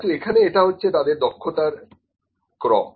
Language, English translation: Bengali, Now this is the order for the skill